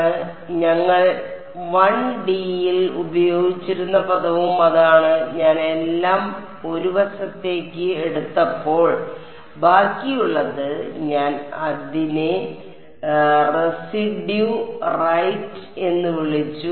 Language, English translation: Malayalam, So, that is also what was the term we had used in 1D, the residual when I took everything onto 1 side I called it the residue right